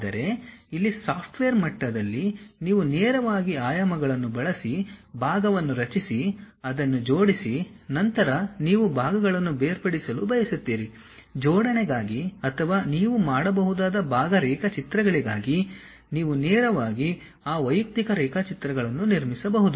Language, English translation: Kannada, But here at the software level you straight away use dimensions create part, you assemble it, then you want to really separate the parts, you can straight away construct those individual drawings, either for assembly or for part drawings you can make